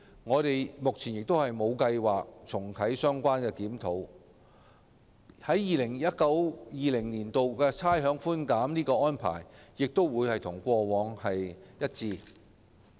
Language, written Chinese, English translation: Cantonese, 我們目前無計劃重啟相關檢討，而 2019-2020 年度差餉寬減的安排亦將與過往一致。, For the time being we have no plan to relaunch relevant review . The implementation arrangement for providing rates concession in 2019 - 2020 will be the same as before